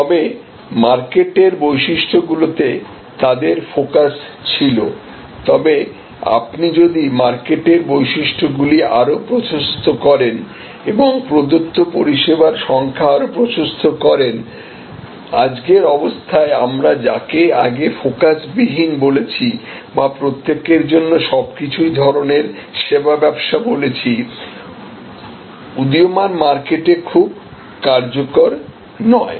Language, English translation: Bengali, But, remain focused on the market characteristics, but if you widen the market characteristics and widen the number of services offered, in today’s condition what we called earlier unfocused or everything for everyone is a kind of service business, not very tenable in emerging markets